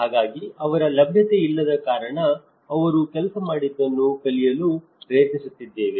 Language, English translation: Kannada, So, because of his non availability, I am trying to learn from what he has worked